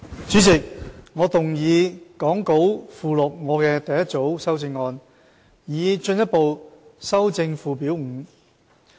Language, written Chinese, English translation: Cantonese, 主席，我動議講稿附錄我的第一組修正案，以進一步修正附表5。, Chairman I move the first group of my amendments as set out in the Appendix to the Script to further amend Schedule 5